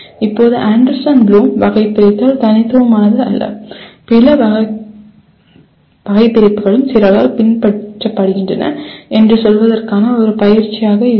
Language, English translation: Tamil, Now as an exercise to say that Anderson Bloom Taxonomy is not unique and other taxonomies are also followed by some people